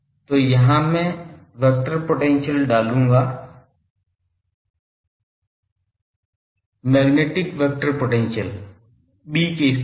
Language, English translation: Hindi, So, here I will put the vector potential; magnetic vector potential in place of B